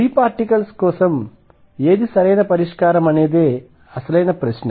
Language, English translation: Telugu, The question is for free particles which one is the correct solution